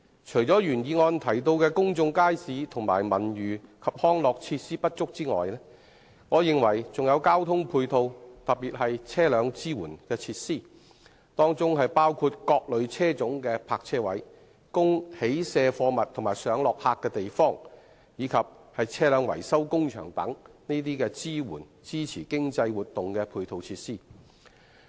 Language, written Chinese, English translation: Cantonese, 除了原議案中提到公眾街市和文娛及康樂設施不足外，我認為不足的還有交通配套，特別是車輛支援設施，包括各類車種的泊車位、供起卸貨物及上落客的地方，以及車輛維修工場等支持經濟活動的配套設施。, The original motion mentions an inadequate provision of public markets and cultural and leisure facilities but I think there is also a shortage of transport ancillary facilities especially vehicle support facilities including parking spaces for various types of vehicles places for loading and unloading goods and picking up and dropping off passengers as well as vehicle maintenance workshops which support economic activities